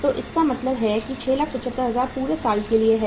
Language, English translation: Hindi, So it means 6,75,000 is for the whole of the uh year